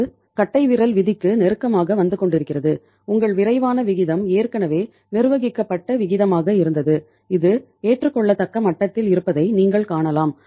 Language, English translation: Tamil, It is coming to the close to the standard rule of thumb and your quick ratio was already managed ratio you can see it was at the acceptable level